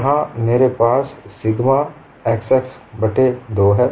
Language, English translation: Hindi, Here I have sigma xx by 2